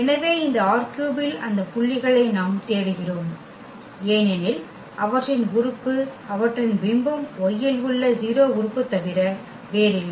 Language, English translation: Tamil, So, we are looking for those points in this R 3 because their element their image is nothing but the 0 element in y